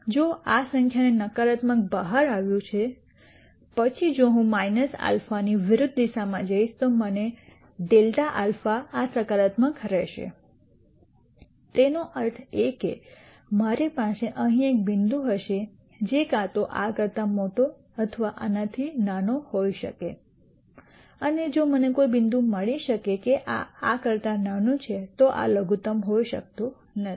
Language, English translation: Gujarati, If this turns out to be negative this number, then if I go in the opposite direction of minus alpha I will get grad of alpha this will be positive; that means, that I will have a point here which can be either larger than this or smaller than this and if I can find a point such that this is smaller than this then this cannot be a minimum